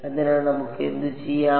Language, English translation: Malayalam, So, let us do that